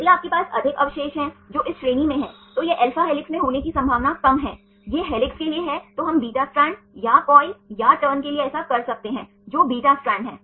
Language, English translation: Hindi, If you have more residues which are in this category, then it has less probability to be in alpha helix this is for helix then we can do this for beta strand or coil or turn, which is the beta strand